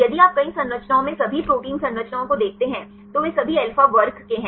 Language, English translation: Hindi, If you look at the all protein structures in the several structures they belong to all alpha class